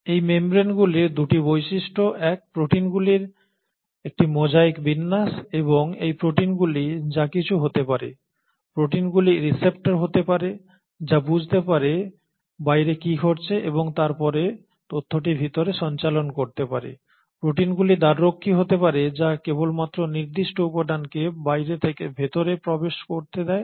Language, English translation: Bengali, So there are 2 features to these membranes; one, a mosaic arrangement of proteins and these proteins can be anything, these proteins can be the receptors which can sense what is happening outside and then relay the information inside, these proteins can be the gatekeepers which will allow only specific material to enter from outside to inside